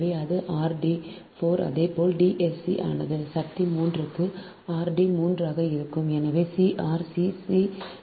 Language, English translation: Tamil, here also d three, so it is r dash d three to the power, half, right so d